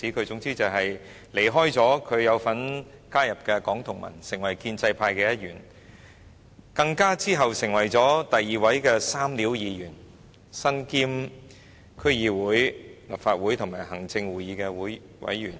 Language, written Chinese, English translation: Cantonese, 總言之，他離開了他曾加入的香港民主同盟後，便成為建制派的一員，之後更成為第二位"三料"議員，身兼區議會、立法會及行政會議成員。, In short he left the United Democrats of Hong Kong of which he was once a member and became a member of the pro - establishment camp . Later he became the second Member wearing three hats as he was concurrently a District Council DC member a Member of the Legislative Council and a Member of the Executive Council